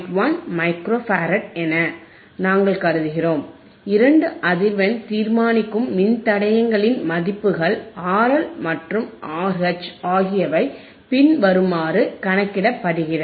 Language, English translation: Tamil, 1 Micro Farad, the values of two frequency determinesing registersistors R L and R H can be calculated as follows